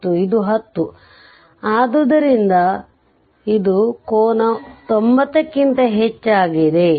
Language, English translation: Kannada, And this is 10, so and this is the angle is more than 90